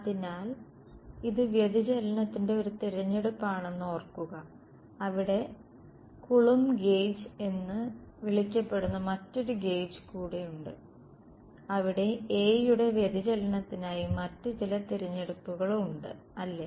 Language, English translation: Malayalam, So, remember this is a choice of the divergence there is another gauge called coulomb gauge where some other choices made for divergence of A ok